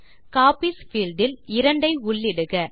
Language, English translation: Tamil, In the Copies field, enter 2